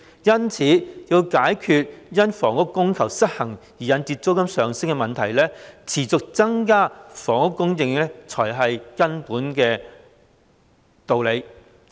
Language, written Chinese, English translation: Cantonese, 因此，要解決因房屋供求失衡而引致的租金上升問題，持續增加房屋供應方為根本之道。, To address the problem of rental increase attributed to the imbalance in demand and supply the fundamental solution remained to be a continued increase in housing supply